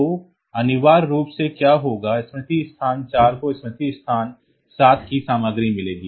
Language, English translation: Hindi, So, essentially what will happen is that the memory location 4 will get the content of memory location 7